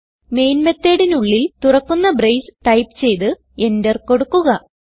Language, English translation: Malayalam, Inside the main method type an opening brace and hitEnter